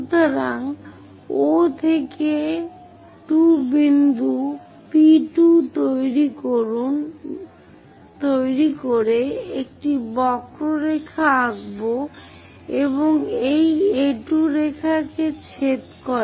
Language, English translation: Bengali, So, from O to 2 draw one more curve to make a point P2 which intersects this A2 line